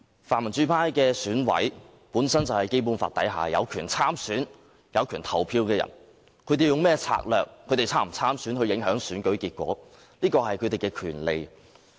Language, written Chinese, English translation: Cantonese, 泛民主派的選舉委員會委員本身就是《基本法》之下有權參選、有權投票的人，他們用甚麼策略，或是否參選以影響選舉結果，這是他們的權利。, Members of the Election Committee EC from the pan - democracy camp have the legitimate right to stand for election as well as the right to vote as stipulated in the Basic Law . They have the right to decide what strategies they want to use or whether they want to affect the election outcome by standing for election